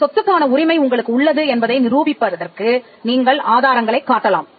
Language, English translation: Tamil, You could show evidences by which you can claim title to a particular piece of property